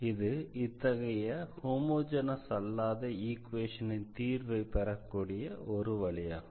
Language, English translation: Tamil, So, this is one way of getting the solution of this such a non homogeneous